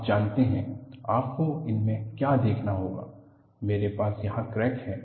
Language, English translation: Hindi, You know, what you will have to look at is, I have the crack here